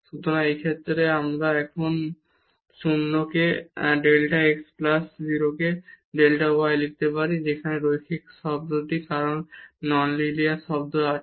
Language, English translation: Bengali, So, in this case we can now write down the 0 into delta x plus 0 into delta y that linear term because there is non linear term